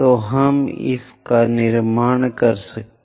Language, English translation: Hindi, So, in that way, we will construct